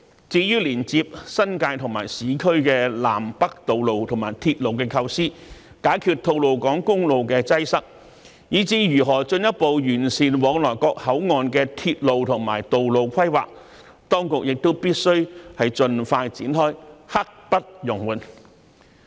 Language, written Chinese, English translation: Cantonese, 至於連接新界和市區的南北道路和鐵路構思、解決吐露港公路的擠塞，以至如何進一步完善往來各口岸的鐵路和道路規劃，當局亦必須盡快展開，刻不容緩。, In addition the authorities must expeditiously commence without delay the work on designing the north - south road and railway network connecting the New Territories and the urban areas; solving the congestion problems of the Tolo Highway as well as further improving the railway and road planning between the various ports